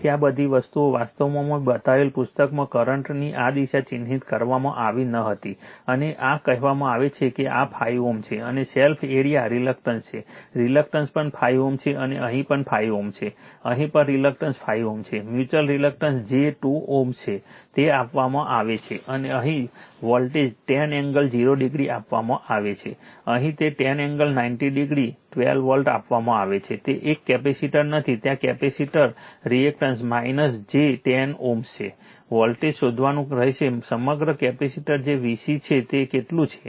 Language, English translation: Gujarati, So, all these things actually this your direction of the current was not marked in the book this I have made it and this say this is 5 ohm and your self area reactance you have reactance is also 5 ohm and here also 5 ohm here also reactance 5 ohm mutual reactance is j 2 ohm, it is given and here voltage is given 10 angle 0 degree, here it is given 10 angle 90 degree volt, 12 it is not one capacitor is there capacitor reactance is minus j 10 ohm, you have to find out voltage across the capacitor that is V c is how much